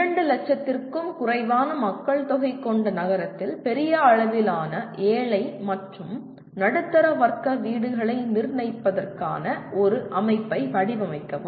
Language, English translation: Tamil, Design a system for construction of large scale poor and middle class housing in town with populations less than 2 lakhs